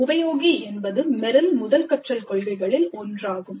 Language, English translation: Tamil, Apply is one of the first learning principles of Meryl